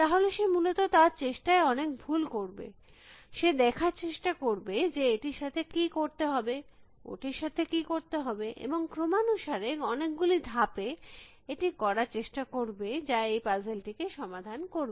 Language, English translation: Bengali, She or he would essentially do it trial in error, he would try to see, what to do with this and what to do this and try to explore a sequence of moves, which will solve the puzzle